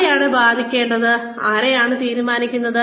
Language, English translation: Malayalam, Who decides who is going to be affected